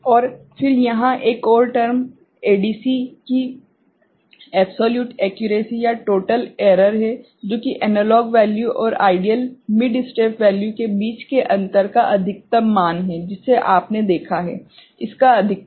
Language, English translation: Hindi, And then there is another term called absolute accuracy or total error of an ADC, which is the maximum value of the difference between an analog value and the ideal mid step value, the one that you have seen the maximum of it